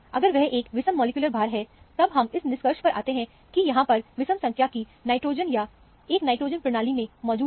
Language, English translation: Hindi, If it is a odd molecular weight, you come to the conclusion, there is a odd number of nitrogen, or a single nitrogen present in the system